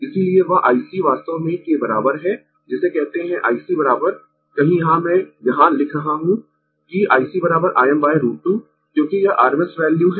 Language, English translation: Hindi, Therefore, that I C actually is equal what you call this I C is equal to somewhere here I am writing that I C is equal to I m by root 2, because, this is rms value